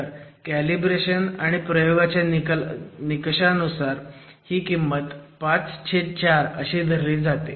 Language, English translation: Marathi, So, based on calibrations with experimental results, this value is taken as 5 by 4